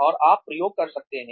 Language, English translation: Hindi, And, you can experiment